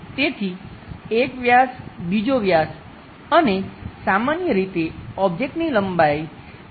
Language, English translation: Gujarati, So, some diameter, another diameter perhaps length of the object 2